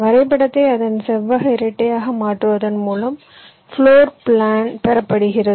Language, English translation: Tamil, floor plan is obtained by converting the graph into its rectangular dual